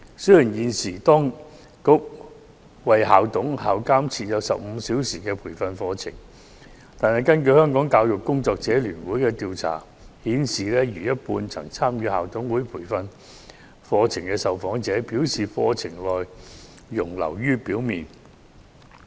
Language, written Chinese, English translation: Cantonese, 雖然現時當局為校董和校監提供15小時培訓課程，但香港教育工作者聯會的調查顯示，逾半曾參與校董培訓課程的受訪者認為，課程內容流於表面。, Although the authorities currently provide school managers and school supervisors with 15 - hour training programmes the survey conducted by the Hong Kong Federation of Education Workers shows that more than half of the respondents who have attended the training programme for school managers consider the contents of the programmes superficial